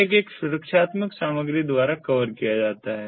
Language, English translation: Hindi, the tag is covered by a protective material